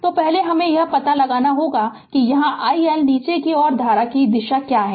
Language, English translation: Hindi, So, first we have to find out that what is an this direction of the current here i L is downwards right